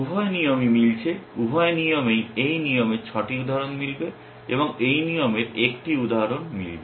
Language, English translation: Bengali, Both rules are matching, both rules 6 instances of this rule will match and 1 instance of this rule will match